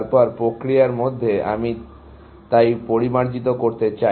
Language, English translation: Bengali, Then, in the process, I want to refine so, essentially